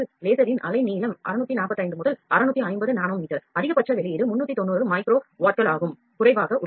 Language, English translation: Tamil, The wavelength of laser is 645 to 650 nano meter maximum output is less than 390 micro watts